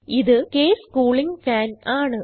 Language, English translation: Malayalam, This is the case cooling fan